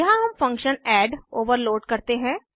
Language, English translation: Hindi, Here we overload the function add